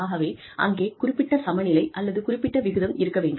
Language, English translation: Tamil, So, there has to be, some sort of balance, some ratio